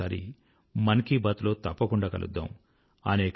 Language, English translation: Telugu, We will meet once again for 'Mann Ki Baat' next time